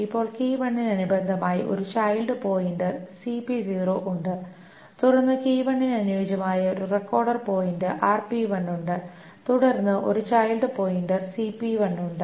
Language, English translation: Malayalam, Corresponding to key 1, there is a child pointer 0, and then there is a child pointer, there is a record pointer 1 corresponding to the key 1, and then there is a child pointer 1